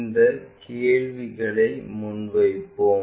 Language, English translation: Tamil, Let us pose the question